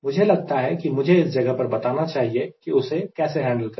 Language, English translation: Hindi, i thought i must mention at this point how to handle that